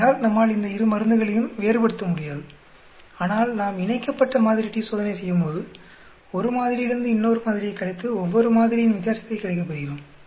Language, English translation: Tamil, So we will not be able to differentiate between these 2 drugs but whereas when we do a paired sample t Test, where we are subtracting one sample from another sample to get the difference for each one of these catch